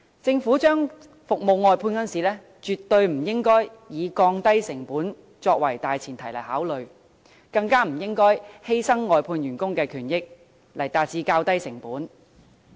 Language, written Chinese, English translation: Cantonese, 政府把服務外判時，絕不應該以降低成本作為大前提來考慮，更不應該以犧牲外判員工的權益來減低成本。, In outsourcing its services the Government absolutely should not make consideration on the premise of reducing costs and worse still reduce them by sacrificing the rights and benefits of outsourced workers